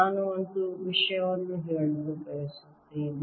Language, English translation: Kannada, i just want to make one point